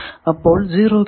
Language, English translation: Malayalam, So, those are 0's